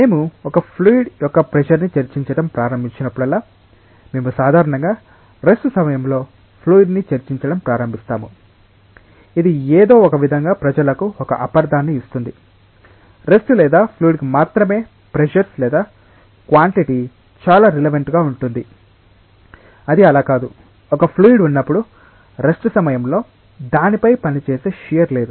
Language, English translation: Telugu, Whenever we start discussing about pressure of a fluid, we generally start discussing about fluids at rest this somehow gives a misunderstanding to people that pressures or quantity is very relevant only to fluids at rest it is not so, as we discussed earlier that when a fluid is at rest, there is no shear that is acting on it